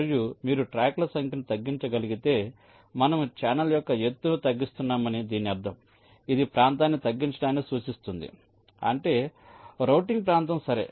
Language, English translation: Telugu, and if you are able to reduce the number of tracks, it will mean that we are reducing the height of the channel, which implies minimizing the area, the routing area